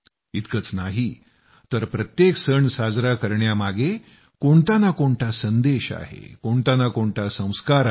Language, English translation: Marathi, Not only this, there is an underlying message in every festival; there is a Sanskar as well